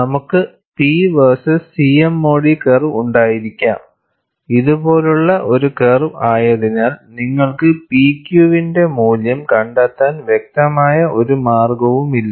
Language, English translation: Malayalam, We could also have the P versus C M O D curve, being a curve like this, there is no apparent way, that you can locate the value of P Q